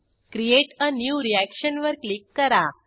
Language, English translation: Marathi, Click on Create a new reaction